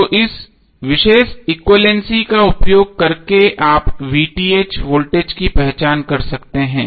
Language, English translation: Hindi, So using this particular equilency you can identify the voltage of VTh how